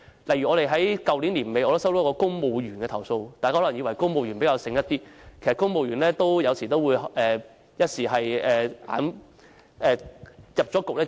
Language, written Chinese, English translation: Cantonese, 例如我在去年年底接獲一名公務員的投訴，大家可能以為公務員會較為聰明，但有時候公務員也會一不留神，墮入陷阱。, For example at the end of last year I received a complaint from a civil servant . People may think that civil servants are smarter but sometimes civil servants may also fall into the trap if they did not pay enough attention